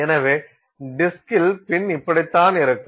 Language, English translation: Tamil, So, this is what the pin sees on the disk